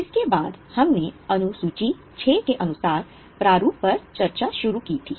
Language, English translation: Hindi, After this we had started discussion on format as per Schedule 6